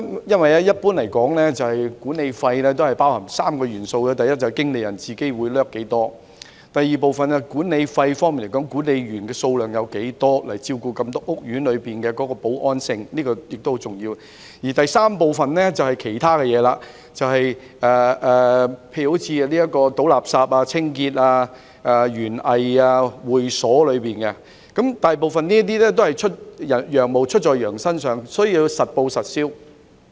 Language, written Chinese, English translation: Cantonese, 一般來說，管理費包含3個元素，第一，管理公司的經理人費用；第二，負責整個屋苑保安工作的管理員數目；及第三，其他事項，例如垃圾處理、屋苑清潔、園藝及會所等。大部分費用都是"羊毛出在羊身上"，需要實報實銷。, Generally speaking management fees have three elements first the manager fees of management companies; second the number of caretakers responsible for the security of the entire housing estate; and third other matters such as garbage disposal cleaning of the housing estate gardening and clubs etc . Most of the expenses come from the residents and they should be on an actual reimbursement basis